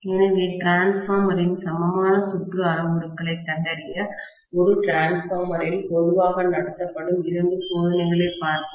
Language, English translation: Tamil, Okay, so let us try to look at two tests that are commonly conducted in a transformer to ascertain the equivalent circuit parameters of the transformer